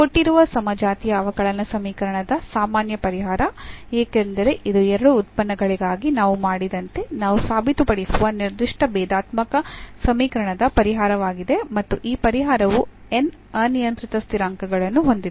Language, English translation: Kannada, The general solution of the given homogeneous differential equation because this is a solution of the given differential equation that we can prove like we have done for two functions and this solution has n arbitrary constants